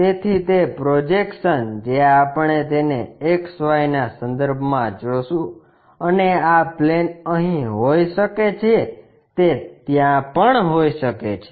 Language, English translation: Gujarati, So, that projection what we will see it with respect to XY and this plane can be here it can be there also